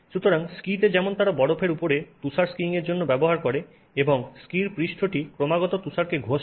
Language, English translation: Bengali, So, in skis, as you know, they use it for skiing in snow on top of snow and so the surface of the ski is continuously rubbing snow